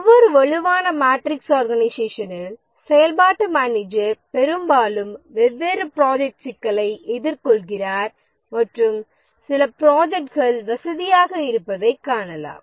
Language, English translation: Tamil, And in a strong matrix organization, the functional manager often finds that different projects are facing problem and some projects are comfortable